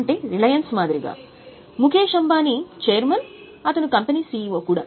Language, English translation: Telugu, Like in case of reliance, Mukeshambani is chairman, he is also CEO of the company